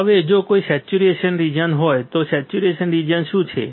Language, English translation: Gujarati, Now, if there is a saturation region, what is situation region